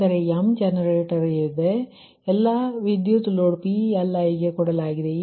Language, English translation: Kannada, so you have m generators committed and all the loads pli given